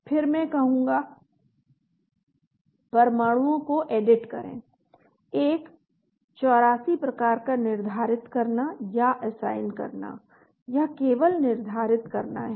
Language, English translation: Hindi, , then I will say Edit Atoms; assigning a 84 type this is just assigning